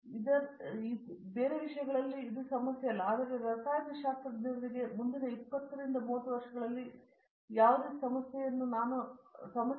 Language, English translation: Kannada, So, that is not a problem in other as a matter, but chemists I do not see any problem in the next 20 30 years